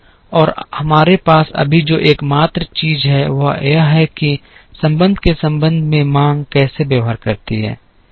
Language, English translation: Hindi, And the only thing that we have right now here is that, how the demand behaves with respect to time